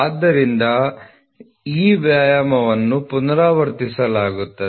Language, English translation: Kannada, So, the exercise will be repeated